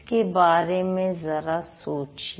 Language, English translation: Hindi, Can you think about it